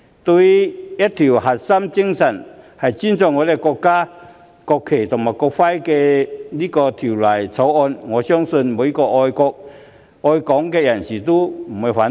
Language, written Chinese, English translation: Cantonese, 對於這項以尊重我們國家國旗和國徽為核心精神的《條例草案》，我相信每一名愛國愛港人士都不會反對。, I believe that all those who love our country and Hong Kong will not oppose the Bill which makes the respect for our countrys national flag and national emblem as the core spirit